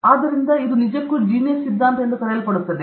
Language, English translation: Kannada, So, it actually debunks this so called Genius Theory